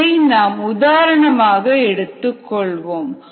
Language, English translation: Tamil, to understand this, let us take an example